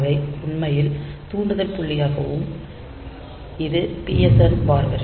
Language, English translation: Tamil, So, they are actually taken as the triggering point and this PSEN bar line